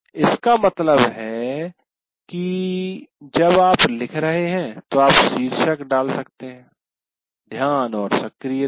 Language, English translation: Hindi, That means when you are writing, you can actually put title like attention and activation